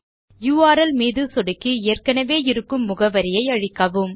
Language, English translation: Tamil, Click on the URL and delete the address that is already there